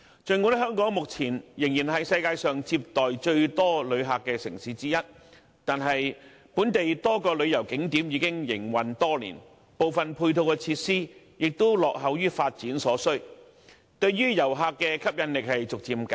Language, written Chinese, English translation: Cantonese, 儘管香港目前仍然是世界上接待最多旅客的城市之一，但本地多個旅遊景點已經營運多年，部分配套設施亦落後於發展所需，對遊客的吸引力正逐漸減弱。, Although Hong Kong is still one of the most visited cities in the world a number of local tourist attractions have been operated for years and some complementary facilities have become outdated . Hence Hong Kongs appeal as a travel destination has been waning